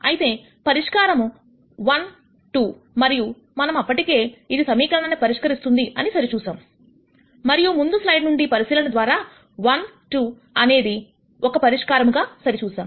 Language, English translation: Telugu, Thus, the solution is 1 2 and we had already verified that this would solve the equation and we had veri ed that 1 2 is a solution that we can directly get by observation from the previous slide